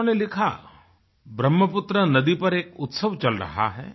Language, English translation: Hindi, He writes, that a festival is being celebrated on Brahmaputra river